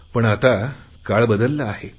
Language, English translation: Marathi, But now times have changed